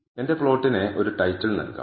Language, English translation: Malayalam, So, I can also give a title to my plot